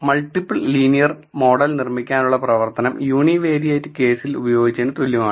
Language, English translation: Malayalam, So, the function to build a multiple linear model is same as what we used in the univariate case